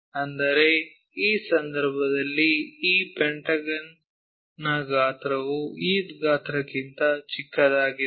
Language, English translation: Kannada, That means, in this case the size of this pentagon is very smaller than the size of this pentagon